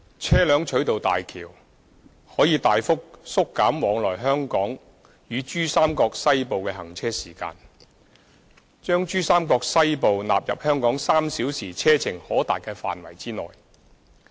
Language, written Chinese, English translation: Cantonese, 車輛取道大橋，可大幅縮減往來香港與珠三角西部的行車時間，將珠三角西部納入香港3小時車程可達的範圍內。, With HZMB travelling time between Hong Kong and western Pearl River Delta PRD will be reduced significantly and thereby bringing western PRD into the area that is accessible from Hong Kong within three hours drive